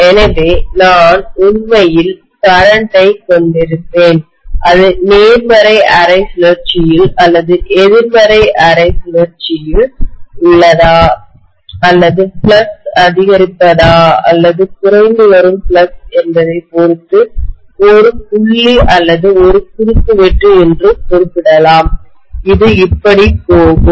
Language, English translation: Tamil, So I will have the current actually, you know I can specify this as a dot or I can specify that as a cross depending upon whether it is in the positive half cycle or negative half cycle or increasing flux or decreasing flux, that is how it is going to be